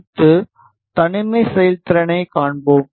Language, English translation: Tamil, Next we will see the isolation performance